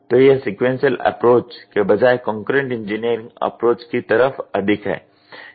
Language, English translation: Hindi, So, this is more of concurrent engineering approach rather than sequential approach